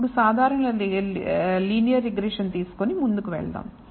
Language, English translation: Telugu, Now let us take only the simple linear regression and go further